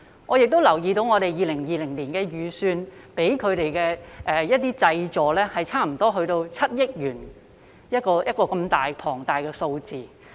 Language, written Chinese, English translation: Cantonese, 我也留意到，政府在2020年的預算中向他們提供的濟助多達7億元，這麼龐大的數額。, I also note that the Government has earmarked as much as 700 million for relief assistance to these people in the 2020 budget . This is a huge sum